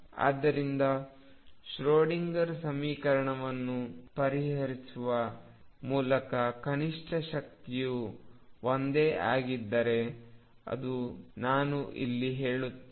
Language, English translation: Kannada, So, let me comment here since the minimum energy is the same as by solving the Schrödinger equation